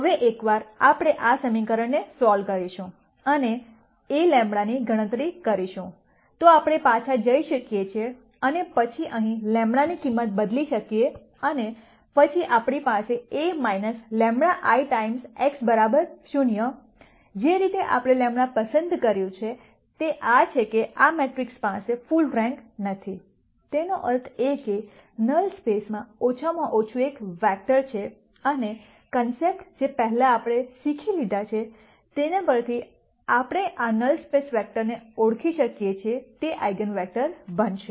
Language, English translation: Gujarati, Now once we solve for this equation and compute A lambda, then we can go back and then substitute the value of lambda here and then we have A minus lambda I times x equal to 0, the way we have chosen lambda is such that this matrix does not have full rank; that means, there is at least one vector in the null space, and using concepts that we have learned before we can identify this null space vector which would become the eigenvector